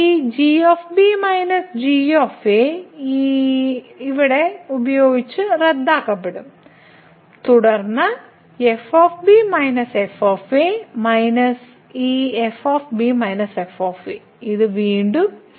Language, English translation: Malayalam, So, this minus will get cancel with this minus and then we will get minus minus this minus which is again